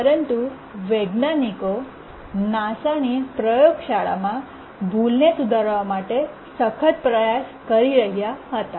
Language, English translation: Gujarati, But then in the laboratory in NASA they were desperately trying to fix the bug